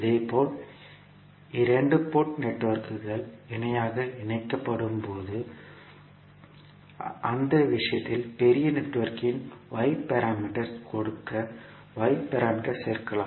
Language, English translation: Tamil, Similarly, in the case when the two port networks are connected in parallel, in that case Y parameters can add up to give the Y parameters of the larger network